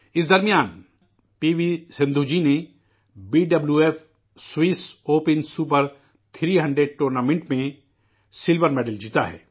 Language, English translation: Urdu, Meanwhile P V Sindhu ji has won the Silver Medal in the BWF Swiss Open Super 300 Tournament